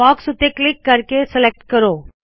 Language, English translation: Punjabi, Click on the box and select it